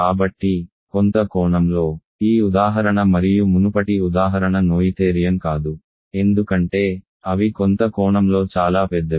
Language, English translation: Telugu, So, in some sense, this example as well as the previous example are not noetherian because, they are too big in some sense